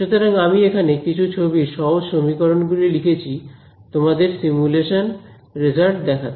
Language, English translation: Bengali, So, I have just put a few simple equations of pictures over here to show you simulation results